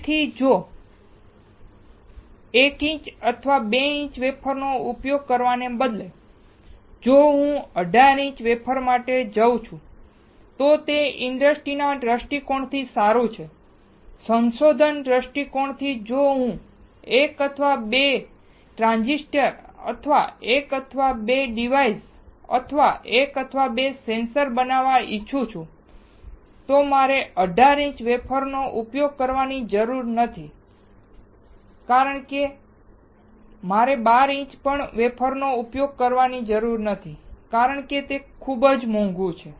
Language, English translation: Gujarati, So, instead of using 1 inch or 2 inch wafer, if I go for 18 inch wafer, then it is good from the industry point of view, from the research point of view if I want to fabricate 1 or 2 transistor or 1 or 2 devices or 1 or 2 sensors, I do not need to use 18 inch wafers, I do not want to use 12 inch wafers, it is really costly